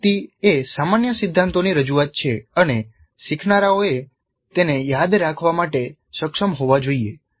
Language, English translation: Gujarati, Information is presentation of the general principles and learners must be able to recall it